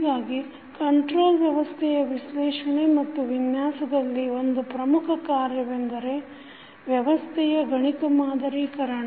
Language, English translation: Kannada, So, one of the most important task in the analysis and design of the control system is the mathematical modeling of the system